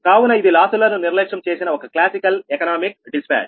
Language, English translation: Telugu, so this is classical economic dispatch, neglecting losses, right